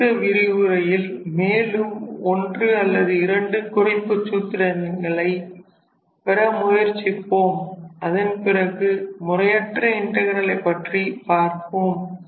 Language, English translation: Tamil, So, we will stop today’s lecture here and in the next lecture I will try to derive 1 or 2 more reduction formulas and afterwards we will move to the improper integral